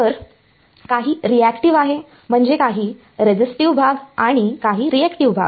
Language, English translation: Marathi, So, there is some reactive I mean some resistive part and some reactive part ok